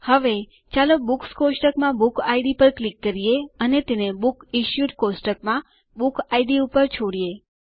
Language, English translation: Gujarati, Now, let us click on the Book Id in the Books table and drag and drop it on the Book Id in the Books Issued table